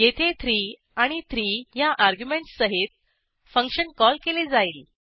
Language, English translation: Marathi, This is a function call with arguments 3 and 3